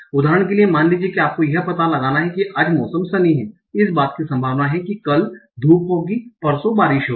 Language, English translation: Hindi, For example suppose you have to find out given that today the weather is sunny what is the probability that tomorrow is sunny and day after is rain